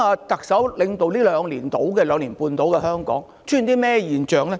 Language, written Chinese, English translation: Cantonese, 特首領導香港約兩年半，其間出現甚麼現象呢？, What happened in Hong Kong during the period of around two and a half years under the leadership of the Chief Executive?